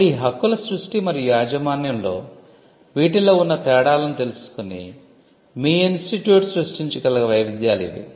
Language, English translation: Telugu, So, these are variations that your institute can create knowing the differences involved in these in the creation and ownership of these rights